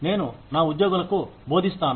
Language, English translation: Telugu, I teach my employees